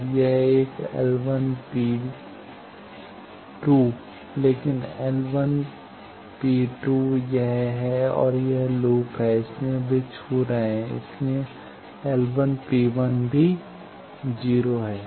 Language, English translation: Hindi, Now this one L 1 p 2, but L 1 P 2 is this and this is the loop, so they are touching so L 1 P 2 is also 0